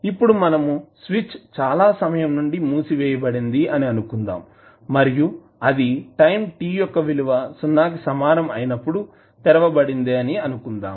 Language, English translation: Telugu, Now, we assume that switch has been closed for a long time and it was just opened at time t equal to 0